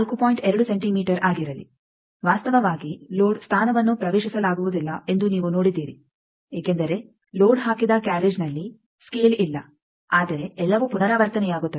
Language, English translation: Kannada, 2 centimeter actually load position is not accessible to you have seen that because, in the carriage where the load is put the scale is not there, but since everything is repeated